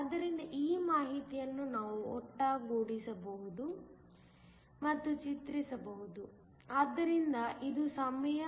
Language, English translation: Kannada, So, this information we can put together and plot, so this is time